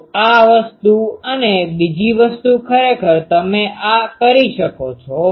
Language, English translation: Gujarati, So, this thing and another thing actually you can go on doing these that